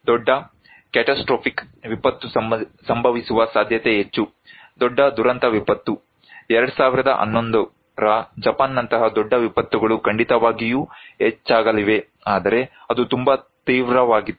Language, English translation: Kannada, Large catastrophic disaster is more likely to occur, large catastrophic disaster; big disasters like 2011 Japan one which surely is going to increase but that was very extreme